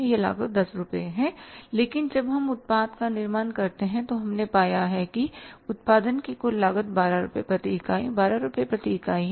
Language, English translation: Hindi, But when we manufactured the product we have found that the total cost of the production is 12 rupees per unit